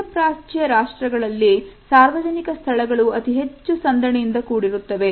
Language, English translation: Kannada, Public spaces in Middle Eastern countries tend to be more crowded